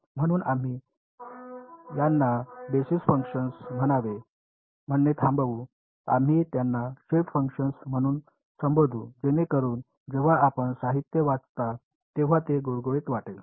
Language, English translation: Marathi, So, we will stop calling them basis functions now we will we start calling them shape functions so that when you read the literature it is smooth right